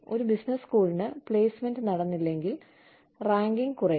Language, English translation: Malayalam, For a business school, if placement does not happen, your rankings go down